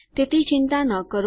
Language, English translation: Gujarati, So dont worry